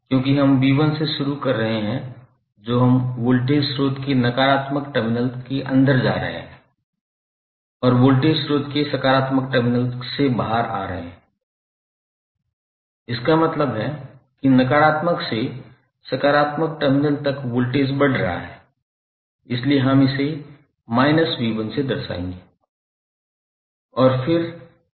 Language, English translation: Hindi, Let us start from v¬1¬ because since we are starting from v¬1¬ that is we are going inside the negative terminal of voltage source and coming out of the positive terminal of voltage source; it means that the voltage is rising up during negative to positive terminal so we represent it like minus of v¬1¬